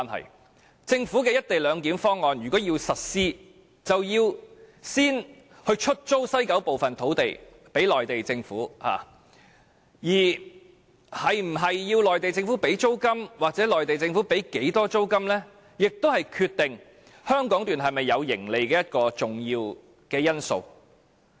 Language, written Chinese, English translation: Cantonese, 如果政府要實施"一地兩檢"方案，便要先把西九部分土地租給內地政府，而內地政府需否支付租金或會繳付多少租金，是決定香港段會否有盈利的重要因素。, If the Government implements the co - location arrangement first it will have to lease part of the land in West Kowloon to the Mainland Government . Whether the Mainland Government needs to pay any rent or how much it will pay in rent is an important factor determining whether the Hong Kong Section will yield any profit